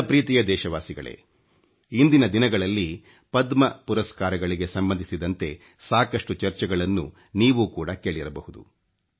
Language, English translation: Kannada, My dear countrymen, these days you must be hearing a lot about the Padma Awards